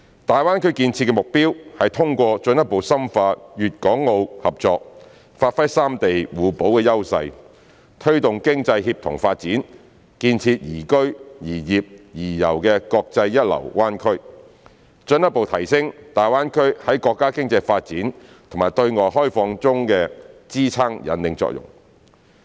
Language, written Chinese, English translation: Cantonese, 大灣區建設的目標是通過進一步深化粵港澳合作，發揮三地互補的優勢，推動經濟協同發展，建設宜居、宜業、宜遊的國際一流灣區，進一步提升大灣區在國家經濟發展和對外開放中的支撐引領作用。, The objectives of the development of GBA are to through further deepening cooperation among Guangdong Hong Kong and Macao leverage the complementary advantages of the three places; promote coordinated economic development; develop an international first - class bay area for living working and travelling; as well as further enhance GBAs supporting and leading role in the countrys economic development and opening up